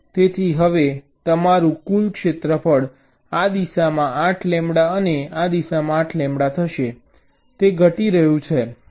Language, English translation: Gujarati, so now your total area will be eight lambda this direction and eight lambda this direction